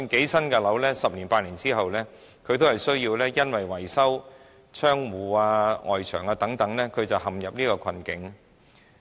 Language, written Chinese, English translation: Cantonese, 即使是新的樓宇，十年八載後還是會因維修窗戶、外牆等問題陷入困境。, Even for new buildings property owners will be facing difficulties eight to 10 years later when they have to carry out maintenance works for windows and external walls